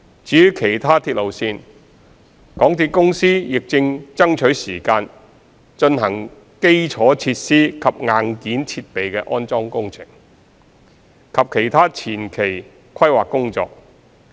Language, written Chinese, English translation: Cantonese, 至於其他鐵路線，港鐵公司亦正爭取時間進行基礎設施及硬件設備的安裝工程，以及其他前期規劃工作。, As for other railway lines MTRCL is also carrying out the installation of infrastructure and hardware equipment as well as other preliminary planning works